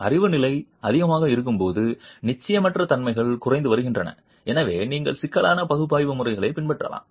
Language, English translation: Tamil, When the knowledge level is rather high, uncertainties are reducing and therefore you can adopt complex analysis methods